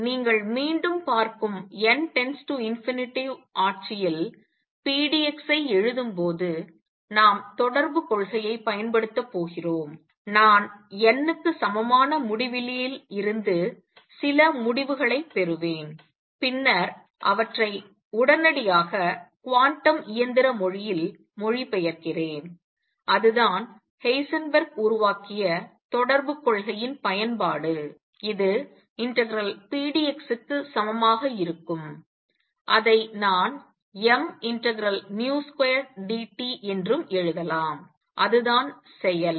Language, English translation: Tamil, So, when we write pdx in the n tending to infinity regime you see again, we are going to make use of correspondence principle, I will derive some results from n equals infinity and then immediately translate them to quantum mechanical language and that is the use of correspondence principle that Heisenberg made, it is going to be equal to mass times v square d t over a period which I can also write as mass integral 0 to T v square d t that is the action